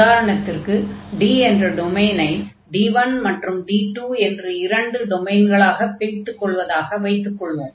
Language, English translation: Tamil, So, we had for example the some domain here, which was D and we have defined I mean divided this into the domain D 1 and then D 2